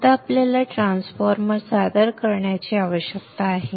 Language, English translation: Marathi, Now we need to introduce a transformer